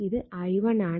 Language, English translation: Malayalam, You will get i 1 is equal to 1